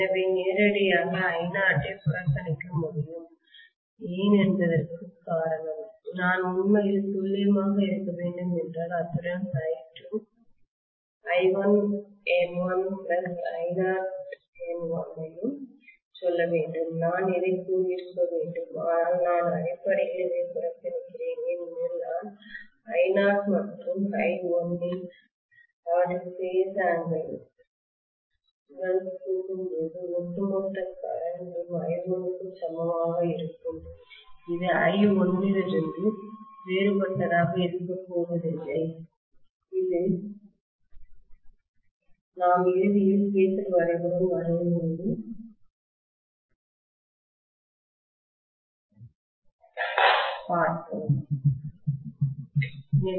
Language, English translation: Tamil, So I can literally neglect I naught that is the reason why, if I have to be really really accurate I should say I2, I1 N1 plus I naught N1 as well, I should have said this but I am essentially neglecting this because when I add I naught and I1 along with their phase angles the overall current what I get will be almost equal to I1 itself, it is not going to be any different from that of I1 which we will see eventually when we are drawing the phaser diagram, right